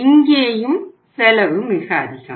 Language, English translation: Tamil, Here also the cost is very high